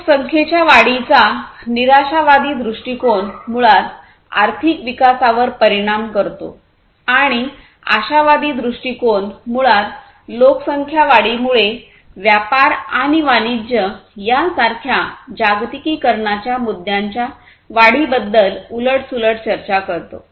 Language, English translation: Marathi, So, the pessimistic view of population growth basically effects the economic growth and the optimistic view basically on the contrary it talks about increase of the globalization issues such as trade and commerce due to the growth of population